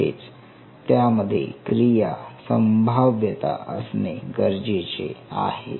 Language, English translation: Marathi, So, in other word it should be able to shoot an action potential